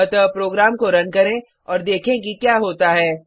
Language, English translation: Hindi, So let us run the program and see what happens